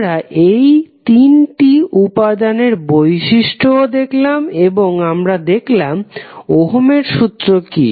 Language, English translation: Bengali, So, we also saw that the property of these 3 elements and also saw what is the Ohms law